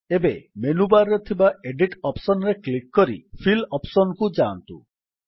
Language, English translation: Odia, Now click on the Edit option in the menu bar and go to theFill option